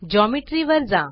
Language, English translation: Marathi, Go to Geometry